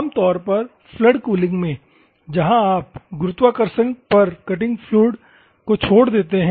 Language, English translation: Hindi, Normally in the flood cooling, where you just drop the cutting fluid by virtue of gravity